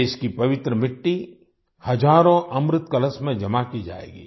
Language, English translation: Hindi, The holy soil of the country will be deposited in thousands of Amrit Kalash urns